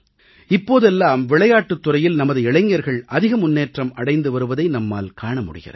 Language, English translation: Tamil, These days we see that our youth are getting increasingly inclined to the field of sports